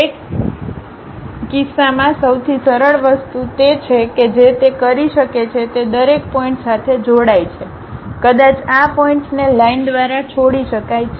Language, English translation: Gujarati, In that case the easiest thing what one can do is join each and every point, perhaps pick these points join it by a line